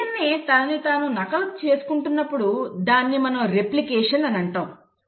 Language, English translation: Telugu, When a DNA is re copying itself this is what you call as replication